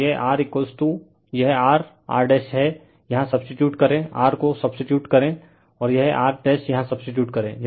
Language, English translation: Hindi, So, it is R is equal to this, R is R dash is equal to you substitute here, you substitute R, and this R dash here you substitute